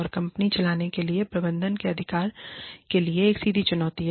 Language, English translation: Hindi, And, is a direct challenge to the management's right, to run the company